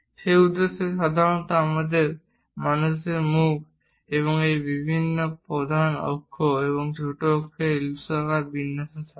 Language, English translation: Bengali, For that purpose, usually our human mouth it is in elliptical format of different major axis, minor axis; so for an ellipse